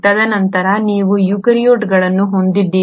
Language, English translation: Kannada, And then you have the eukaryotes